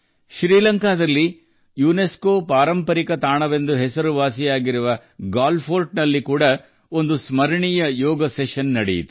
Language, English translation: Kannada, A memorable Yoga Session was also held at Galle Fort, famous for its UNESCO heritage site in Sri Lanka